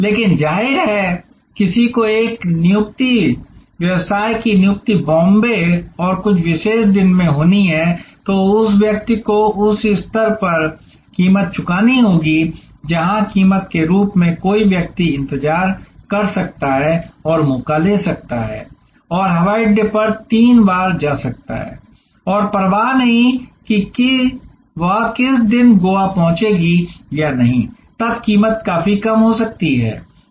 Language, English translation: Hindi, But obviously, somebody has an a appointment business appointment has to be in Bombay and certain particular day, then that person will have to pay price at this level, where as price somebody who can wait and take chance and go to the airport three times and does not care, which day he or she arrives in Goa, then the price can be quite low